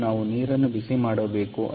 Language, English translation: Kannada, so we have to heat up the water